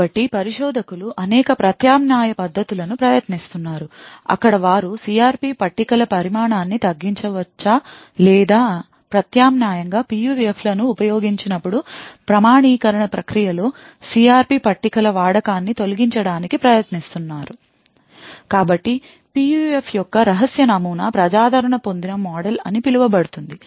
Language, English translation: Telugu, So researchers have been trying several alternate techniques where they could either reduce the size of the CRP tables or alternatively try to eliminate the use of CRP tables in the authentication process when PUFs are used